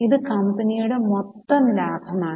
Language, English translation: Malayalam, This is the total profit for the company